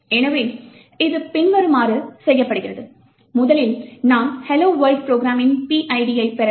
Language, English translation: Tamil, So, this is done as follows, first we need to get the PID of the hello world program